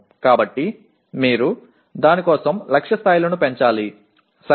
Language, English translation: Telugu, So you have to increase the target levels for that, okay